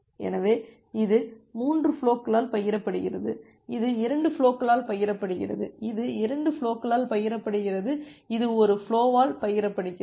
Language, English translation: Tamil, So, this is shared by 3 flows this is shared by 2 flows, this is shared by 2 flows and this is shared by one flow